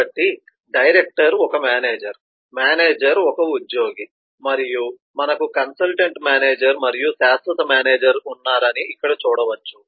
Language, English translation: Telugu, so you can see here that director is a manager, manager is an employee and we have consultant manager and permanent manager